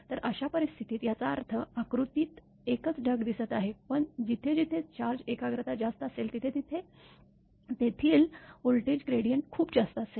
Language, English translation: Marathi, So, in that case; that means, here it is in the diagram it is showing only one cloud, but wherever charge concentration is high the voltage gradient there it will be very high